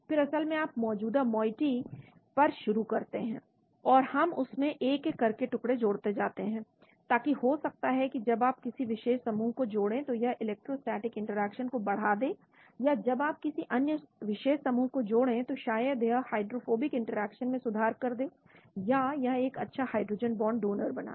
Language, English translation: Hindi, Then basically you start on an existing moiety and we keep adding fragments step by step, so that maybe when you add a particular group it increases the electrostatic interaction or when you add another particular group maybe it improves the hydrophobic interaction, or it creates a good hydrogen bond donor